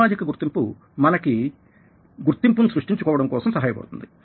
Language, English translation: Telugu, social identity helps us create identity